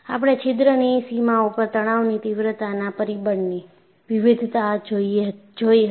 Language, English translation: Gujarati, We had seen the variation of stress intensity factor on the boundary of the hole